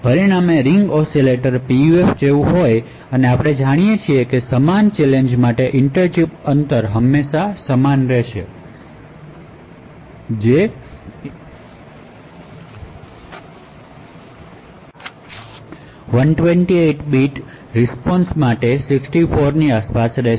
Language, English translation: Gujarati, So the results are quite similar to that of Ring Oscillator PUF, so what we see is that the inter chip distance for the same challenge is having an average which is around 64 for a 128 bit response